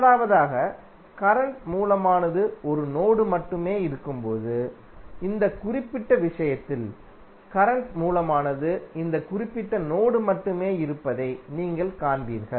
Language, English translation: Tamil, First one is that when current source exist only in one mesh, so in this particular case you will see that the current source exist only in this particular mesh